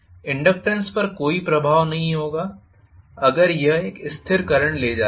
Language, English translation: Hindi, The inductance will not have any effect if it is carrying a steady current